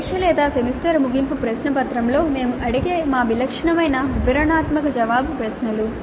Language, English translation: Telugu, Our typical detailed answer questions that we ask in a test or semester end question paper, they belong to the supply type items